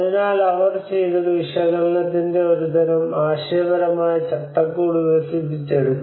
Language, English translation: Malayalam, So what she did was she developed a kind of conceptual framework of analysis